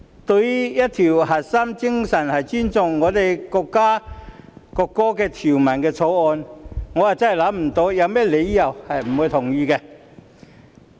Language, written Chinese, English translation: Cantonese, 對於一項核心精神是尊重國家國歌的《條例草案》，我真的想不到有甚麼理由不同意。, As regards a bill with the core spirit of respecting the country and the national anthem I truly cannot find any reason for objection